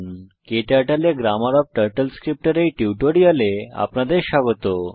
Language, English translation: Bengali, Welcome to this tutorial on Grammar of TurtleScript in KTurtle